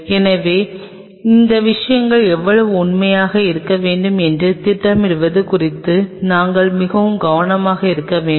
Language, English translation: Tamil, So, we have to very careful about planning of how really you want this stuff to be